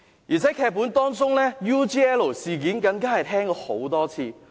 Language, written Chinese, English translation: Cantonese, 而且在多個劇本當中 ，UGL 事件更已聽了很多次。, Moreover the UGL incident has also appeared in a number of these scripts